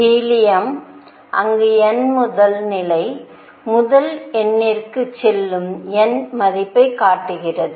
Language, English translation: Tamil, Helium, where n first level goes the first number shows n value